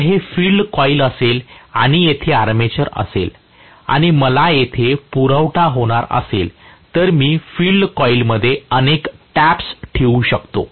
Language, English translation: Marathi, So, if this is the field coil and here is the armature and I am going to have the supply here, what I can do is to have many taps in the field coil